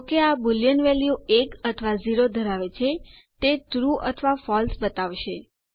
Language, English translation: Gujarati, Since this holds Boolean values 1 or 0, it displays True or False